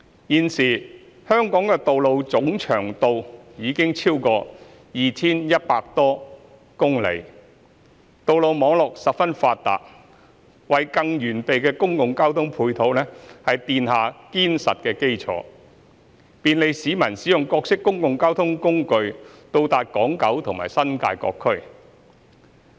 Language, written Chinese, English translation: Cantonese, 現時，香港道路的總長度已超過 2,100 多公里，道路網絡十分發達，為更完備的公共交通配套奠下堅實的基礎，便利市民使用各式公共交通工具到達港、九和新界各區。, A present Hong Kong has a very well - developed road network with a total road length of over 2 100 km . This provides a solid foundation for a more comprehensive public transport support and facilitates public access to various places on the Hong Kong Island in Kowloon and the New Territories by different modes of public transport